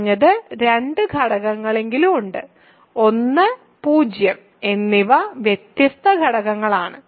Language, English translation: Malayalam, So, there are at least two elements; 1 and 0 they are distinct elements